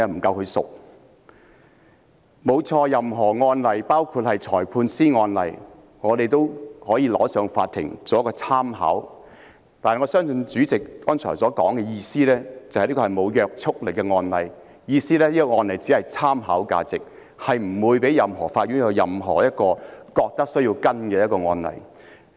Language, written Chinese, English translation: Cantonese, 我們的確可以向法院提出任何案例——包括裁判法院的案例——作為參考，但我相信主席剛才的意思是，這是無約束力的案例，即是這個案例只有參考價值，任何法院均不會認為有需要跟進。, We can indeed refer any cases including those of Magistrates Courts to the Court as references . Yet I think what the President meant just now was that those case are non - binding ie . they are valued as reference only and other Courts will not find it necessary to follow them up